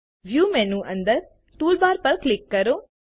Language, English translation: Gujarati, Under the View menu, click Toolbars